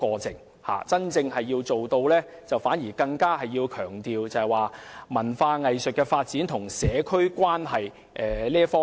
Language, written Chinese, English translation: Cantonese, 政府真正要做的反而是強調發展文化藝術與社區的關係。, What the Government should really do is rather to emphasize the relationship between cultural and arts development and the community